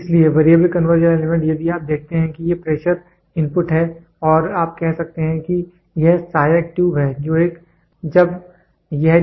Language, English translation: Hindi, So, Variable Conversion Element if you see these are pressure inputs and you can say this is the supporting tube here is a coiled spring